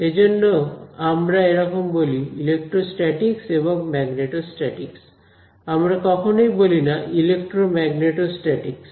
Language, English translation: Bengali, So, we call them that is why you heard the words electrostatics and magneto statics or you do not have electromagneto statics ok